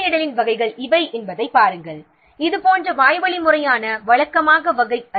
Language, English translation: Tamil, See, these are the categories of reporting like this is the oral formal, formal regular type of reporting type